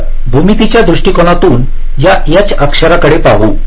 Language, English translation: Marathi, so let us look at this h shapes in terms of the geometry